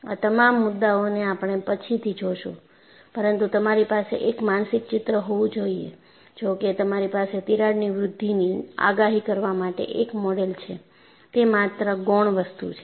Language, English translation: Gujarati, All these issues will take it up later, but you will have to have a mental picture, though you have a model to predict crack growth, it is only secondary